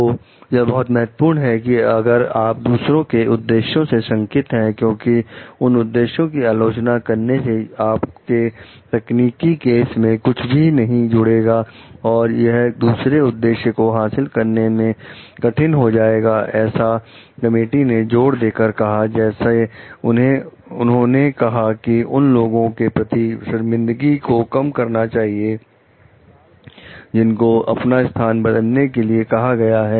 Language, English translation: Hindi, So, if it is this is important like if you even if you were suspicious of others motives, because impugning those motives adds nothing to your technical case and makes it harder to achieve another objective that the committee emphasizes, namely minimizing the embarrassment to those who are being asked to change their position